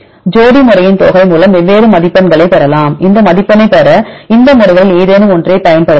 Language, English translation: Tamil, Sum of pairs method you can get different scores right you can use any of these methods to get this score